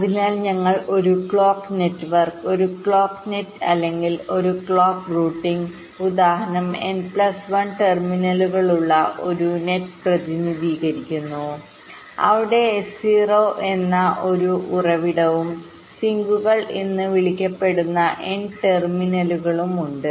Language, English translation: Malayalam, so we define a clock network, a clock net or a clock routing ins[tance] instance as represented by a net with n plus one terminals, where there is one source called s zero and there are n terminals, s called sinks